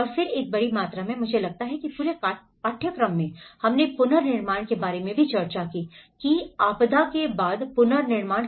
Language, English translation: Hindi, And then in a large amount, I think in the whole course we discussed about the reconstruction, the post disaster reconstruction